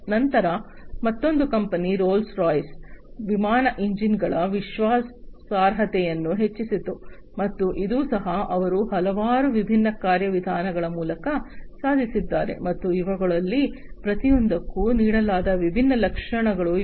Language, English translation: Kannada, Then another company Rolls Royce increased reliability in aircraft engines, and this also they have achieved through a number of different mechanisms, and these are the different features that have been given for each of them